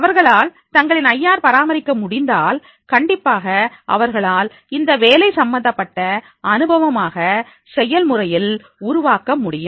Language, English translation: Tamil, If they are able to maintain their IR then definitely they will be able to make it work related experience into the process